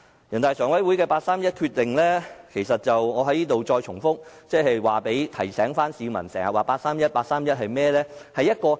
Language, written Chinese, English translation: Cantonese, 人大常委會的八三一決定——我在此要重複提醒市民，經常提及的八三一決定是甚麼？, In regard to the 31 August Decision of NPCSC―I have to repeatedly remind the public what the frequently mentioned 31 August Decision is